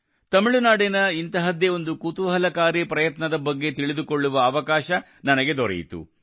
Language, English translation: Kannada, I also got a chance to know about one such interesting endeavor from Tamil Nadu